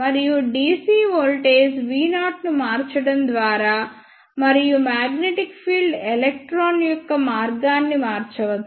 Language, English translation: Telugu, And by varying the dc voltage V naught, and the magnetic field the path of electron can be changed